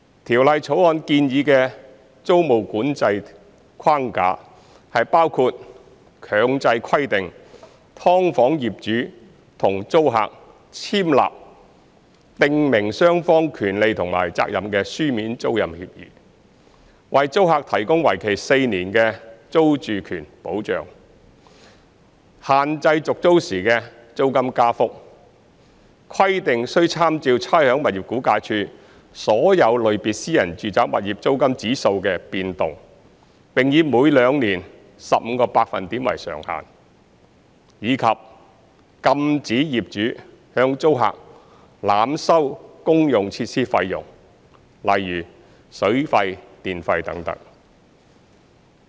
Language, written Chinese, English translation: Cantonese, 《條例草案》建議的租務管制框架，包括強制規定"劏房"業主與租客簽立訂明雙方權利和責任的書面租賃協議；為租客提供為期4年的租住權保障；限制續租時的租金加幅，規定須參照差餉物業估價署所有類別私人住宅物業租金指數的變動，並以每兩年 15% 為上限；以及禁止業主向租客濫收公用設施費用等。, The proposed tenancy control framework under the Bill includes mandatory execution of a written tenancy agreement between the landlord and the tenant of a subdivided unit setting out the rights and obligations of both parties . It also includes providing a four - year security of tenure to tenants; restricting the level of rent increase upon tenancy renewal every two years with reference to the index of all classes of private residential properties compiled by the Rating and Valuation Department subject to a cap of 15 % ; and prohibiting landlords from overcharging tenants utility fees etc